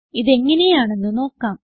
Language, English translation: Malayalam, Let us try it out